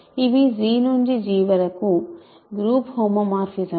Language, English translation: Telugu, These are group homomorphisms from G to G